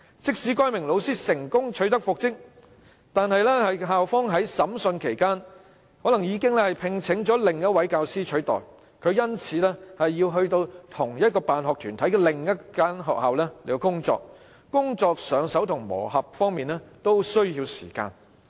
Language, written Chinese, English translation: Cantonese, 即使該名老師最後成功復職，但由於校方在訴訟審理期間已另聘教師取代其職位，他便因而要到同一辦學團體的另一間學校工作，在熟習工作和磨合方面都需要時間。, Even if the teacher concerned is finally reinstated he will have to work in other school under the same school sponsoring body because a replacement has been engaged to take up his work during the course of proceedings . He will thus need time to familiarize with his work and integrate in the workplace